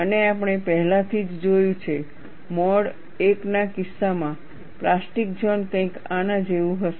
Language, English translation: Gujarati, And we have already seen, the plastic zone, in the case of mode one, will be something like this